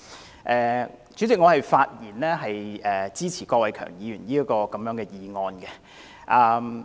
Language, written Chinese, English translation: Cantonese, 代理主席，我發言支持郭偉强議員的議案。, Deputy President I speak in support of Mr KWOK Wai - keungs motion